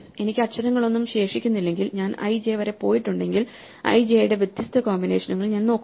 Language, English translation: Malayalam, If I have no letters left, if I have gone i j I am looking at difference combinations i and j